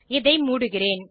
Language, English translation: Tamil, I will close this